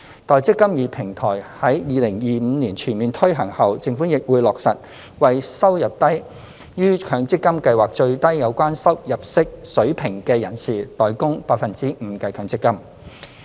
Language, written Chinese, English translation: Cantonese, 待"積金易"平台於2025年全面推行後，政府亦會落實為收入低於強積金計劃最低有關入息水平的人士代供 5% 的強積金。, As the eMPF Platform becomes fully functional in 2025 the measure of the Government paying the 5 % MPF contributions for persons whose income is below the MPF minimum relevant income level will be implemented